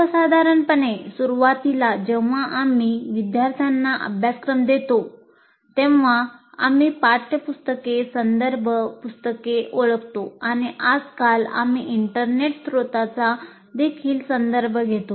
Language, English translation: Marathi, Generally right in the beginning when we give the syllabus to the students, we identify text books, reference books, and these days we also refer to the internet sources